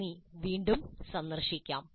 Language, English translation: Malayalam, Thank you and we'll meet again